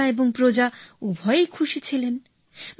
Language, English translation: Bengali, " Both, the king and the subjects were pleased